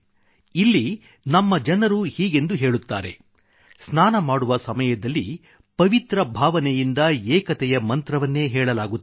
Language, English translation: Kannada, Often people in our country say or chant while bathing with a hallowed belief, the mantra of unity